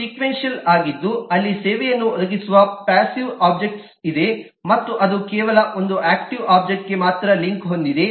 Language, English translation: Kannada, one is sequential, where there is a passive object that is providing the service and it is linked to only one active object